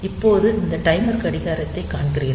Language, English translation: Tamil, Now, you see that this timer clock